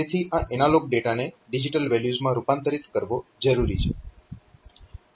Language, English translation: Gujarati, So, what is required is that we should convert this analog data into some digital values, ok